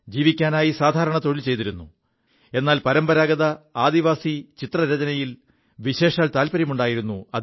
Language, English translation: Malayalam, He was employed in a small job for eking out his living, but he was also fond of painting in the traditional tribal art form